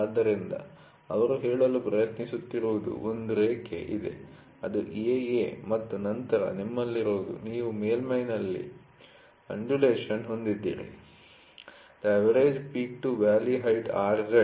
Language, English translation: Kannada, So, what they are trying to say is there is a line, ok, which is AA and then what you have is you have an undulation on the surface, ok